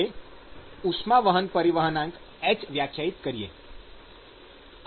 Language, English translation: Gujarati, And there could be a transport coefficient h